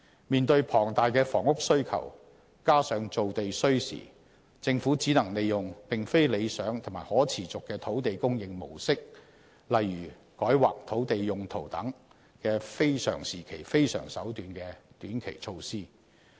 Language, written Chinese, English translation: Cantonese, 面對龐大的房屋需求，加上造地需時，政府只能利用並非理想及可持續的土地供應模式，例如"改劃土地用途"等"非常時期非常手段"的短期措施。, In face of the huge demand for housing and given the long time needed to open up new land the Government can only make use of land supply modes that are neither desirable nor sustainable such as changing the land use zoning of sites which is a short - term extraordinary measure introduced under exceptional circumstances